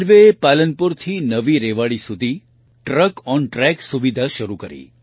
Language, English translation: Gujarati, Railways started a TruckonTrack facility from Palanpur to New Rewari